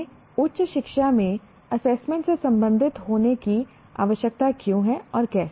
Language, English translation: Hindi, Why do we need to be concerned with assessment in higher education and how